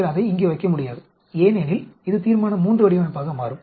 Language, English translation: Tamil, You cannot place it here because it will become a Resolution III design